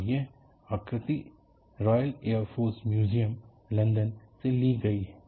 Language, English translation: Hindi, And this courtesy of full a figure is from Royal Air Force Museum, London